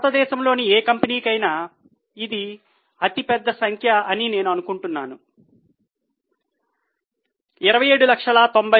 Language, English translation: Telugu, I think this is the largest number for any company in India, 27 lakhs 90,000